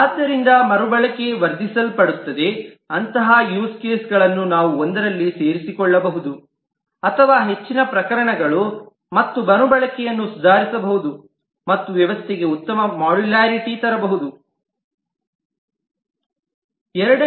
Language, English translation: Kannada, So the reuse will be enhanced if we can identify such use cases which can be included in one or more multiple cases and can improve the re use and bring a better modularity to the system